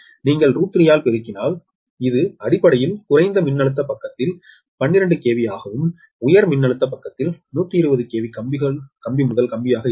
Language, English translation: Tamil, that is, if you multiply by root three root three, it will basically twelve ah on the low voltage side, twelve k v and high voltage side will be one twenty k v line to line, right